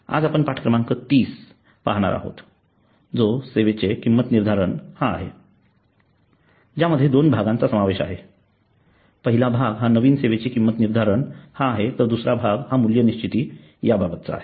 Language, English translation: Marathi, today we will look at lesson number 29 that is pricing the service that includes two parts one is pricing a new service and there is the value pricing